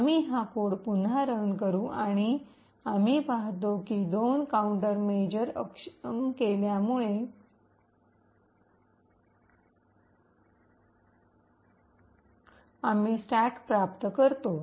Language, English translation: Marathi, We run this code again and we see that we obtain the stack due to the two countermeasures being disabled